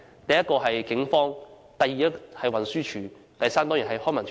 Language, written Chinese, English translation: Cantonese, 第一，是警方；第二，是運輸署；第三，當然是康文署。, First it is the Police . Second it is the Transport Department TD . Third it is obviously LCSD